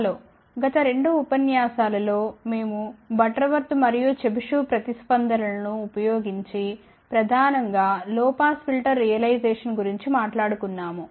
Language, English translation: Telugu, Hello, in the last two lectures we have been talking about mainly low pass filter realization using Butterworth and Chebyshev responses